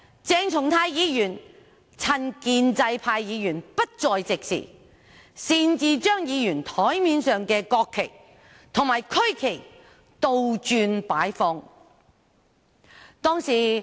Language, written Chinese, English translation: Cantonese, 鄭松泰議員當日趁建制派議員不在席時，擅自將議員檯面上的國旗及區旗倒轉擺放。, On that day Dr CHENG Chung - tai during the absence of pro - establishment Members took the liberty to invert the national and regional flags placed on Members desks